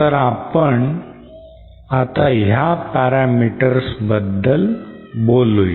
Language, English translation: Marathi, So let us so let us see what these parameters are